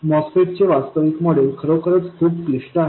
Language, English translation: Marathi, The actual model of the MOSFET is really, really complicated